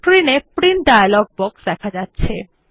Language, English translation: Bengali, The Print dialog box appears on the screen